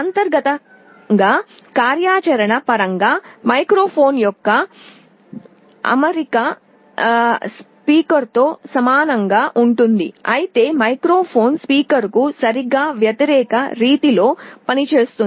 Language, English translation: Telugu, In terms of functionality internally the arrangement is very similar to that of a speaker, but it works in exactly the opposite mode